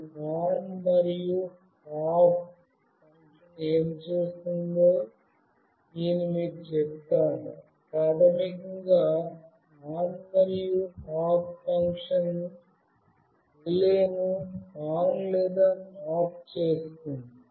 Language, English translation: Telugu, Let me tell you what this ON and OFF function will do; basically the ON and OFF function will make the relay ON or OFF